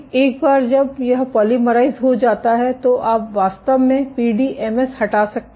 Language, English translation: Hindi, Once it has polymerized you can actually peel the PDMS